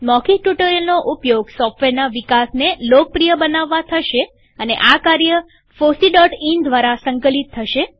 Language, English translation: Gujarati, Use of spoken tutorial to popularize software development and its use will be coordinated through fosse.in